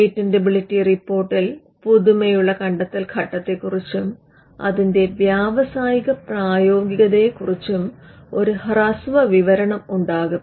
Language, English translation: Malayalam, The patentability report will have a brief description on novelty inventor step and industrial application